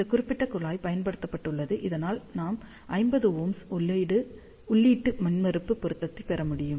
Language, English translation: Tamil, So, this particular tap has been used, so that we can get input impedance matching with 50 ohm